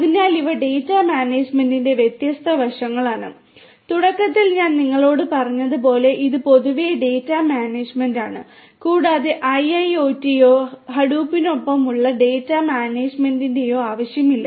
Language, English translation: Malayalam, So, these are these different aspects of data management and as I told you at the outset that, this is something that what is data management in general and not necessarily in the context of IIoT or data management with Hadoop